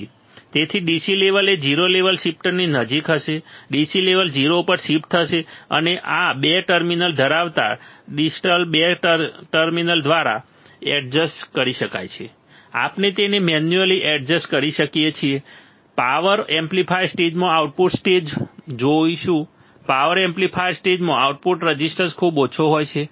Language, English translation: Gujarati, So, DC level would be ca close to 0 level shifter will shift DC level to 0 and this can be adjusted by nearly by a distal 2 terminals bearing 2 terminals, we can adjust it manually we will see output stage in a power amplifier stage in a power amplifier stage has very small output resistance right